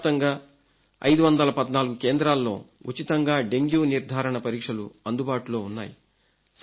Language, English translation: Telugu, In the entire country about 514 centers have facilities for testing dengue cases absolutely free of cost